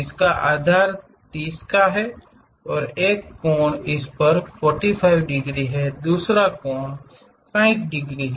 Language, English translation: Hindi, It has a base of 30 units and one of the angle is 45 degrees on this side, other angle is 60 degrees